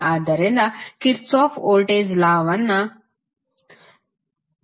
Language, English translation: Kannada, So, this is what you got from the Kirchhoff Voltage Law